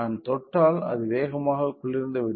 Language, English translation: Tamil, So, if I touch it cools very fast